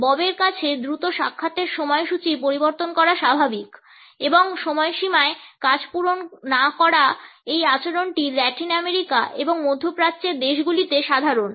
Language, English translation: Bengali, For Bob it is normal to quickly change appointment schedules and not meet deadlines this behavior is common in Latin American and middle eastern countries